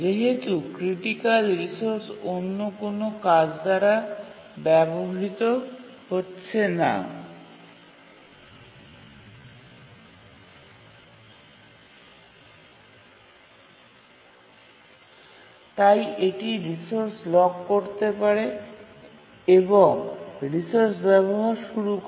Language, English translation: Bengali, And since the critical resource was not being used by any other task, it could lock the resource and started using the resource